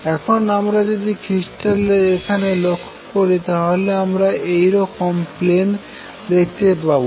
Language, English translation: Bengali, Now you see if you notice here the crystal planes are like this